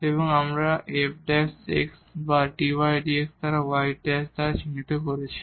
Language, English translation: Bengali, And, we have denoted this by f prime x or dy dx or y prime